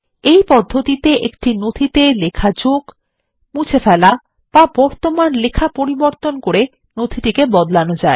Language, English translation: Bengali, In this manner, modifications can be made to a document by adding, deleting or changing an existing text in a document